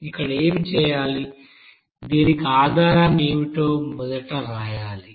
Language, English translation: Telugu, What to do here, you have to write first what is the basis for this